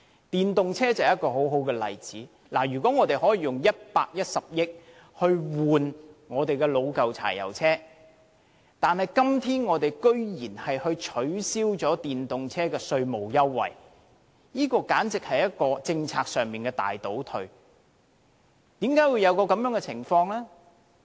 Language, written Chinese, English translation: Cantonese, 電動車就是一個很好的例子，如果我們可以用110億元更換老舊的柴油車，為何今天居然降低電動車的稅務優惠，這簡直是政策上的大倒退。, Cutting the tax waiver for electric cars is a case in point . If the Government uses 11 billion to replace old diesel vehicles why should it reduce the tax waiver for electric cars? . That is simply a big retrogression in policy implementation